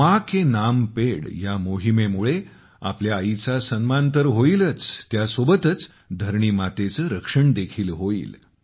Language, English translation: Marathi, The campaign to plant trees in the name of mother will not only honor our mother, but will also protect Mother Earth